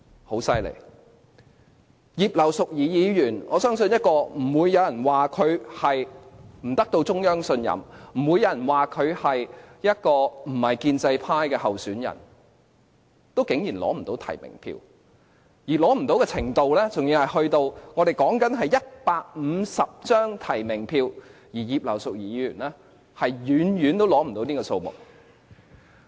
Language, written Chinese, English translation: Cantonese, 很厲害，葉劉淑儀議員，我相信不會有人說她不獲中央信任；不會有人說她不是建制派的候選人，但她竟然也無法取得足夠提名票，而所欠的票數是，我們說的只是150張提名票，但葉劉淑儀議員遠遠無法取得這個數目。, I think no one will say Mrs Regina IP is not trusted by the Central Authorities neither will they say Mrs Regina IP is not a pro - establishment candidate . Surprisingly even she could not secure enough nominations to stand for the election . The shortfall of votes was so substantial that there was hardly any change for her to obtain a minimum of 150 nominations